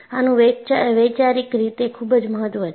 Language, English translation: Gujarati, It is very important conceptually